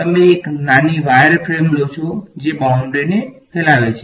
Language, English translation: Gujarati, You take a small little wireframe that straddles the boundary